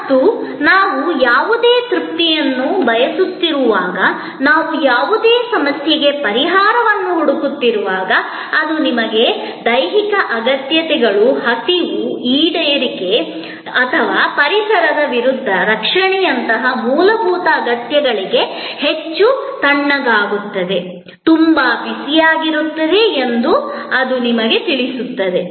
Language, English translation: Kannada, And it will tell you how, whenever we are seeking any satisfaction, whenever we are seeking solution to any problem, it can be related to very basic needs like your physiological needs, hunger, fulfillment or the protection against the environment too cold, too hot